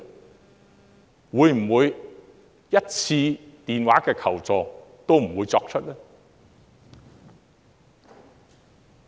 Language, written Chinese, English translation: Cantonese, 是否連1次電話求助也不會作出呢？, Will they not make even one phone call to ask for help?